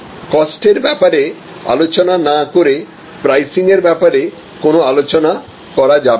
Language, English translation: Bengali, We cannot have a discussion on pricing without having any discussion on costs